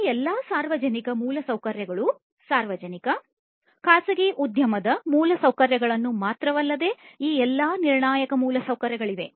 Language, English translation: Kannada, All these public infrastructure that are there not only public, private you know industry infrastructure all this critical infrastructure that are there